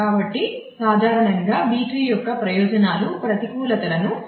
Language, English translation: Telugu, So, typically the advantages of B tree do not outweigh the disadvantages